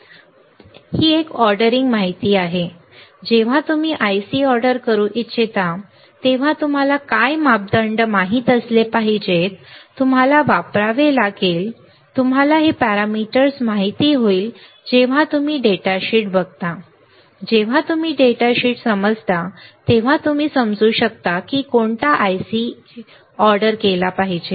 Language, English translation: Marathi, Alright this is a ordering information, when do when you want to order IC you should know what parameters, you have to use you will know this parameter when you look at the data sheet, when you understand the data sheet then you can understand which IC I should order right